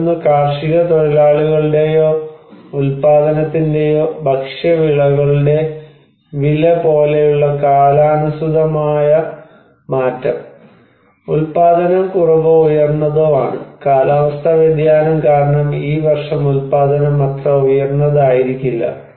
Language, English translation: Malayalam, Another one is the seasonality and seasonal shift in price like the price of the crops of the food for the agricultural labor or the productions because of production is low or high, because of climate change maybe the production is not so high this year